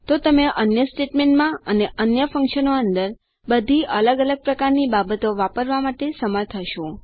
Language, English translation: Gujarati, So you will be able to use all different kinds of things inside other statements and inside functions